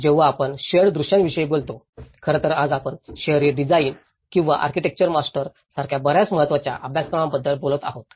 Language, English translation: Marathi, When we talk about the shared visions, in fact, today, we are talking about many important courses like urban design or architecture masters